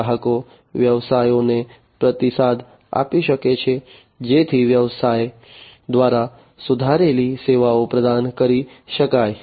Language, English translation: Gujarati, The customers can provide feedback to the businesses, so that the improved services can be offered by the business